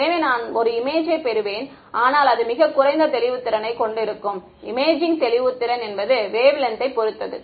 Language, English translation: Tamil, So, I will get an image, but it will be very lower resolution right the imaging resolution is dependent depends directly on the wavelength right